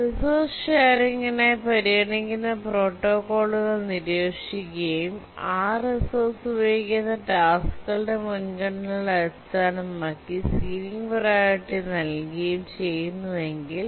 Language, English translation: Malayalam, But if you look at the protocols that we considered for resource sharing, we assign ceiling priority based on the priorities of the tasks that use that resource